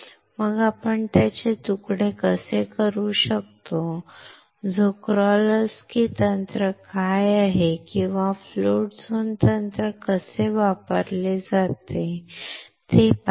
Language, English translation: Marathi, Then we have seen how we can slice it, What Czochralski technique is or how the float zone technique is used